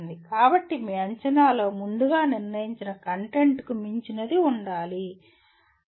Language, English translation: Telugu, So your assessment should include something which is beyond the predetermined content